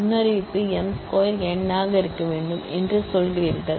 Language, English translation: Tamil, You are saying that the predicate is m square must be n